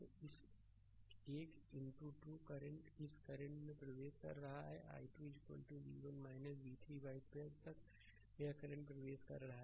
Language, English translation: Hindi, So, in this i 2 current is entering this current i 2 is equal to v 1 minus v 3 by 12 this current is entering